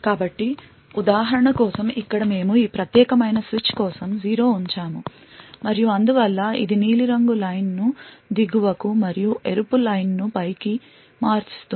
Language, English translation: Telugu, So over here for the example you see that we have poured 0 for this particular switch and therefore it switches the blue line to the bottom and the Red Line on top and so on